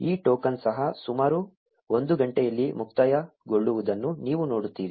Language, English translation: Kannada, You will see that this token also expires in about an hour